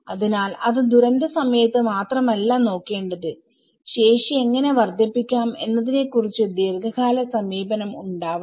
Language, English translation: Malayalam, So, itÃs not just only during the time of disaster one has to look at it, long run approach how the capacities could be enhanced